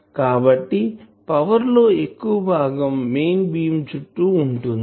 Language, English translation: Telugu, So, most of the power is concentrated into the main beam